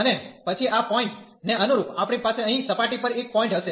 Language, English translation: Gujarati, And then corresponding to this point, we will have a point there in the on the surface here